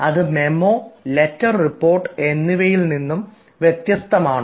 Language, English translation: Malayalam, how is this different from memo and a letter report